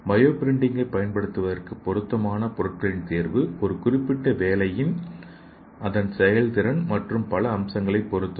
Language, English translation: Tamil, So the selection of appropriate materials for using bio printing and their performance in a particular application depends on several features